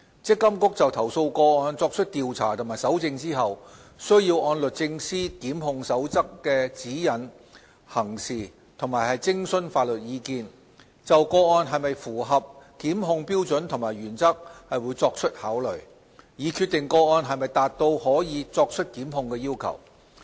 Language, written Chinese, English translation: Cantonese, 積金局就投訴個案作出調查及搜證後，須按律政司《檢控守則》的指引行事及徵詢法律意見，就個案是否符合檢控標準及原則作出考慮，以決定個案是否達至可作出檢控的要求。, After investigation and collection of evidence MPFA will act in accordance with the guidelines contained in the Prosecution Code of the Department of Justice and seek legal advice in considering whether the case satisfies prosecution standards and principles in determining if the case meets the requirements for initiating criminal prosecution